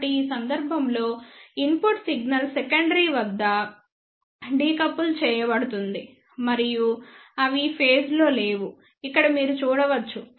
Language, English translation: Telugu, So, in this case the input signal is decoupled at the secondary and they are in out of phase, here you can see